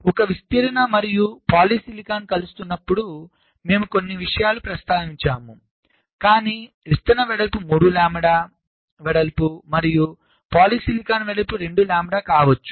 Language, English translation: Telugu, so when a diffusion and polysilicon is intersecting, we have mentioned a few things, but a diffusion can be three lambda y in width and a polysilicon can be two lambda in width